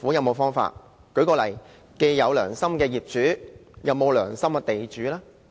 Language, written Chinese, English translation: Cantonese, 我舉例，既然有"良心業主"，那有沒有"良心地主"呢？, For example as there are conscientious property owners are there land owners of conscience too?